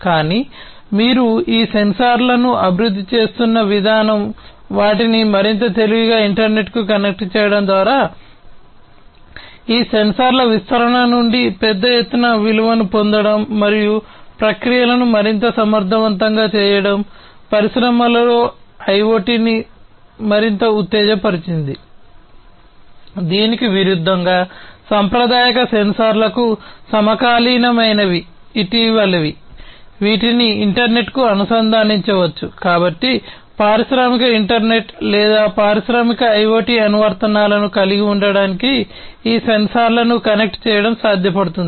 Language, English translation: Telugu, But the way you are evolving these sensors making them much more intelligent connecting them to the internet getting value out of the deployment of these sensors in a big scale and making processes much more efficient, in the industries, is what has made IIoT much more exciting